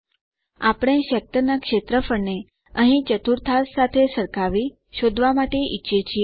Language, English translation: Gujarati, We want to calculate the area of the sector here by comparing it with the quadrant here